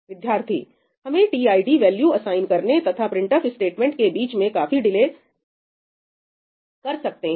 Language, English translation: Hindi, we can make a remarkable delay between assigning the tid value and the printf statement